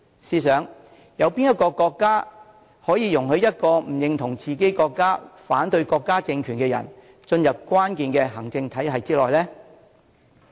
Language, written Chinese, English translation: Cantonese, 試想有哪個國家可以容許一個不認同自己國家、反對國家政權的人，進入關鍵的行政體系之內呢？, Is there any country in the world that opens its central executive machinery to a person who rejects his or her own country and opposes the ruling regime?